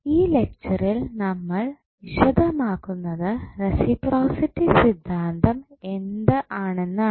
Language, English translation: Malayalam, So, in this lecture we will explain what do you mean by reciprocity theorem